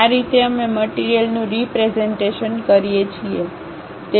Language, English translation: Gujarati, This is the way we represent the material